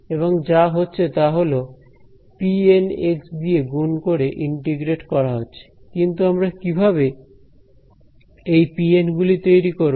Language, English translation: Bengali, And, what is happening is being multiplied by P N x and integrated, but how did we construct these P N's